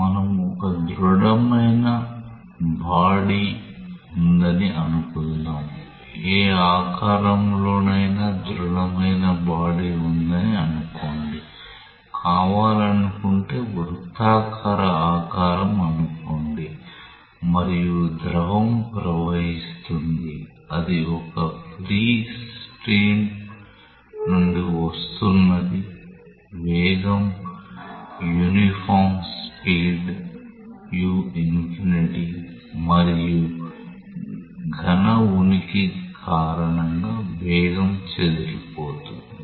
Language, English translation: Telugu, Let us take an example where let us say you have a solid body, say a solid body of whatever shape maybe circular shape if you want it to be so, and fluid is flowing it is coming from a free stream with a velocity uniform velocity say u infinity and because of the presence of the solid the velocity is disturbed